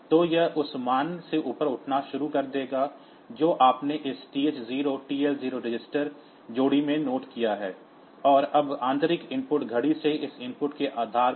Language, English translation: Hindi, So, it will start upcounting from the value that you have noted in this TH 0 TL 0 register pair, and now on based on this input from internal system clock